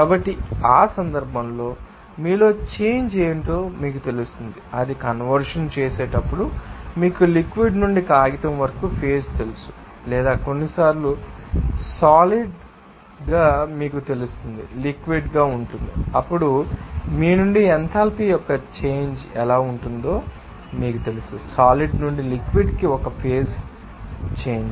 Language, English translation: Telugu, So, in that case what will be the you know change of you know enthalpy when exchanges it is you know phase from liquid to paper or sometimes solid is becoming you know, liquid, then how the change of enthalpy will be there from you know it is a phase change from solid to liquid